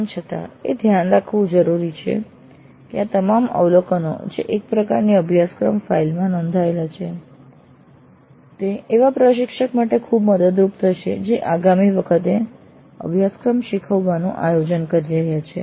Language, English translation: Gujarati, Still it is important to note that all these abbreviations which are recorded in a kind of a course file would be very helpful for the instructor who is planning to teach the course the next time